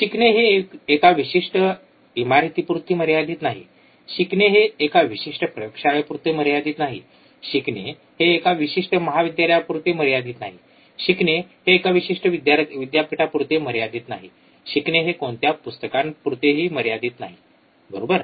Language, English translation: Marathi, Learning is not restricted to a particular building, learning is not restricted to a particular lab, learning is not restricted to a particular college, learning is not restricted to particular university, learning is not restricted to any books also, right